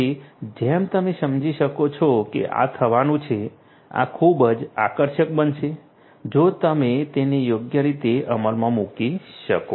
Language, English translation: Gujarati, So, as you can understand that this is going to be this is going to be very attractive if you can implement it properly